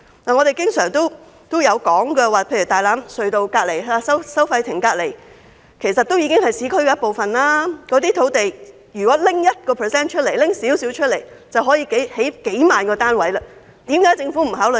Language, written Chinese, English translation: Cantonese, 我們經常提到大欖隧道收費亭附近的土地，其實屬於市區一部分，如果可以動用這些土地的 1%， 便可以興建數萬個單位，為何政府不予考慮？, As we often say the land near the tollbooths of the Tai Lam Tunnel is actually part of the urban area; if 1 % of the land can be used tens of thousands of units can be built . Why does the Government not consider that?